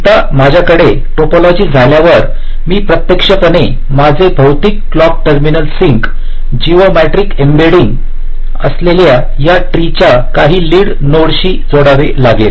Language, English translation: Marathi, ah, once i have the topology, i have to actually connect my physical clock terminals, the sinks, to some lead node of this tree, that is the geometrically embedding